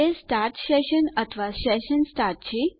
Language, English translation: Gujarati, Is it start session or session start